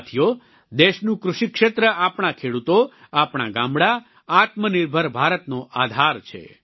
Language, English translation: Gujarati, Friends, the agricultural sector of the country, our farmers, our villages are the very basis of Atmanirbhar Bharat, a self reliant India